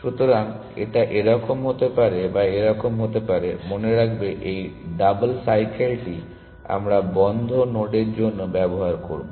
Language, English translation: Bengali, So, this could have been this one this could have been this one; remember that this double cycle we will use for closed nodes